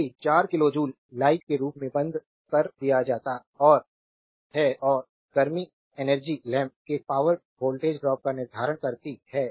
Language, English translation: Hindi, If 4 kilo joule is given off in the form of light and the and heat energy determine the voltage drop across the lamp